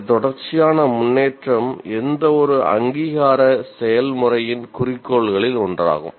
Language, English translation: Tamil, This continuous improvement is one of the purpose, one of the goals of any accreditation process